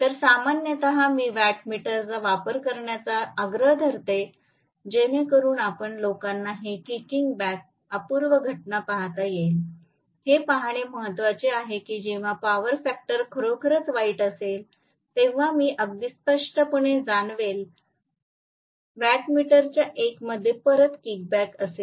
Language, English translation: Marathi, So, generally I insist on using to wattmeter so that you guys are able to see these kicking back phenomena, it is important to see that only then you are going to realize that when the power factor is really bad I am going to get very clearly a kicking back in 1 of the wattmeter